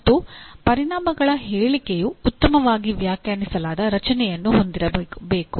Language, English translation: Kannada, And the outcome statement should have a well defined structure